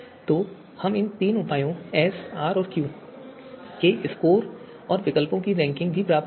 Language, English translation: Hindi, So we will get the you know the scores of these three measures S, R, and Q and also the ranking of alternatives